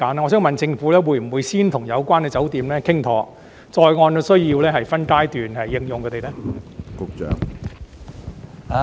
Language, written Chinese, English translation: Cantonese, 我想問政府，會否先與有關酒店談妥，然後再按需要分階段徵用它們呢？, May I ask the Government whether it will first discuss with the hotels concerned and then enlist them as quarantine hotels in phases on a need basis?